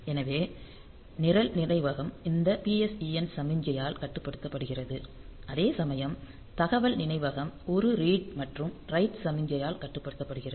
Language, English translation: Tamil, So, the program memory is controlled by this PSEN signal PSEN signal whereas, the data memory is controlled by a read and write signal